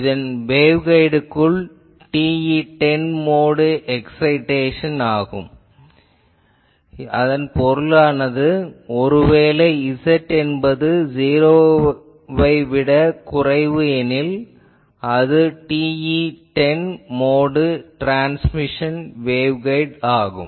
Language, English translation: Tamil, So, this is a TE10 modes excitation inside the waveguide; that means, suppose from z less than 0, the it was a transmission waveguide having TE10 mode